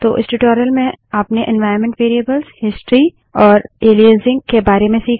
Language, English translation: Hindi, So, in this tutorial, we have learned about environment variables, history and aliasing